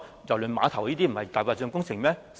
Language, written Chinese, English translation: Cantonese, 郵輪碼頭不是"大白象"工程嗎？, Is the Cruise Terminal not a white elephant project?